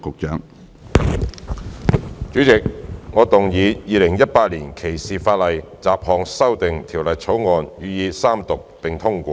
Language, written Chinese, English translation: Cantonese, 主席，我動議《2018年歧視法例條例草案》予以三讀並通過。, President I now report to the Council That the Discrimination Legislation Bill 2018 has been passed by committee of the whole Council with amendments